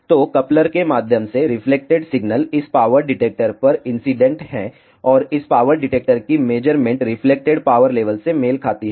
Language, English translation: Hindi, So, the reflected signal through the coupler is incident on this power detector and the measurement of this power detector corresponds to the reflected power level